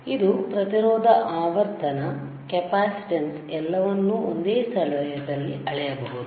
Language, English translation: Kannada, So, this is the resistance frequency, capacitance everything can be measured in the same place